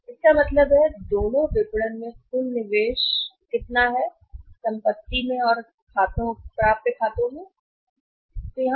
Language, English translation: Hindi, So, it means how much is a total investment both in the marketing assets and in the accounts receivables